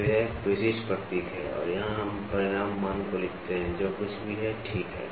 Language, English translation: Hindi, So, this is a typical symbol and here we write down the magnitude value whatever it is, ok